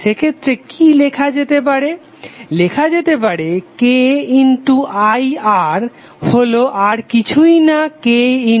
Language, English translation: Bengali, So in that way what you can write, you can write K into I R is nothing but K into V